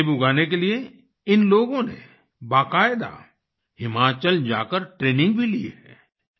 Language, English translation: Hindi, To learn apple farming these people have taken formal training by going to Himachal